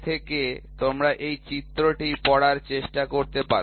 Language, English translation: Bengali, So, from this you can try to read this figure